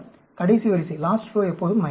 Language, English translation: Tamil, The last row will always be minus